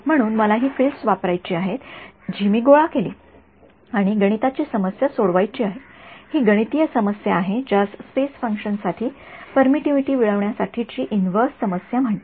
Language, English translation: Marathi, So, I have to use these fields that I have collected and solve a mathematical problem, this mathematical problem is what is called in inverse problem to get permittivity as a function of space